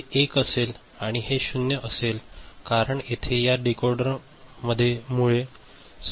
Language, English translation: Marathi, This will be 1 and this is 0 because all these are 0 from the because of the decoder